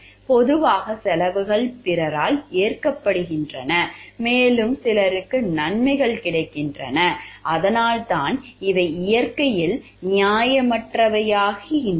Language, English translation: Tamil, Generally, costs are borne by other people and benefits are taking for some other person and that is why these becomes unfair in nature